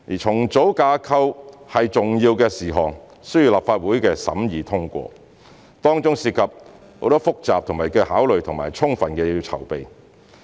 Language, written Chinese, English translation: Cantonese, 重組架構是重要事項，需要立法會審議通過，當中涉及很多複雜的考慮和需要充分的籌備。, Structural reorganization is an important matter which requires the scrutiny and approval of the Legislative Council and it involves many complicated considerations and a lot of preparation